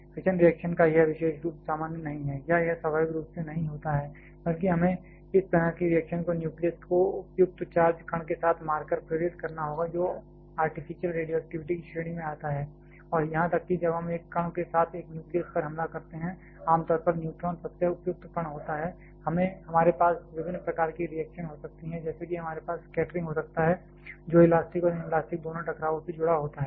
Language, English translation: Hindi, This particular of fission reaction is a generally not common or it does not happen naturally, rather we have to induce this kind of reaction by striking the nucleus with the suitably charged particle which comes under the category of artificial radioactivity and even when we strike a nucleus with a particle, commonly neutron is the most suitable particle we can have different kinds of reactions like we can have scattering which is associated in both elastic and inelastic collisions